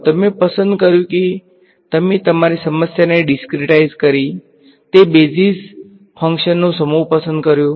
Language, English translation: Gujarati, You chose you took your problem discretized it chose a set of basis functions